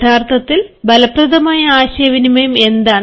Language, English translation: Malayalam, now, what is an effective communication